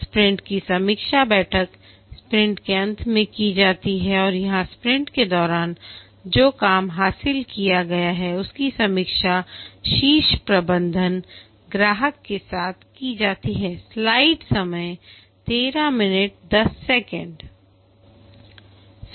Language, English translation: Hindi, The sprint review meeting is undertaken at the end of the sprint and here the work that has been achieved during the sprint is reviewed along with the customer and the top management